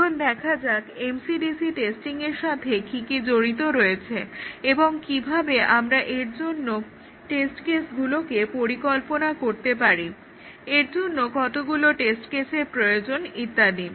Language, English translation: Bengali, Now, let us see what is involved in MCDC testing, how we design the test cases for this, how many test cases and so on